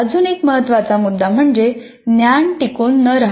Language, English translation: Marathi, And another major issue is poor retention of the knowledge